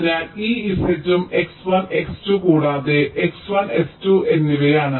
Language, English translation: Malayalam, so this z is also x one and x two, and of x one, x two